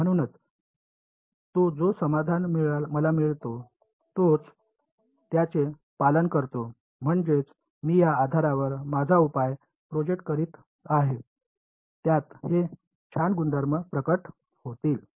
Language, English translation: Marathi, So, therefore, the solution that I get it also obeys I mean I am projecting my solution on this basis it will have these nice properties to reveal